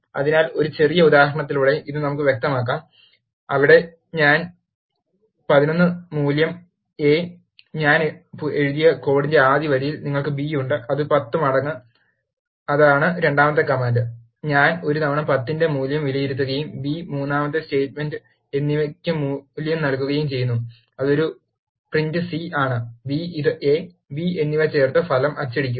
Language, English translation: Malayalam, where I am assigning a value of 11 to a, in the first line of the code which I have written and you have b which is a times 10, that is the second command, I am evaluating the value of a times 10 and assign the value to the b and the third statement, which is print c of a, b concatenates this a and b and print the result